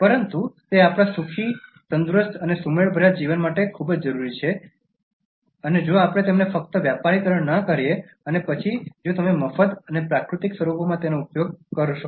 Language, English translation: Gujarati, But they are very essential for our happy, healthy and harmonious living if only we do not make them commercialized highly and then if you are able to use them in the free and natural forms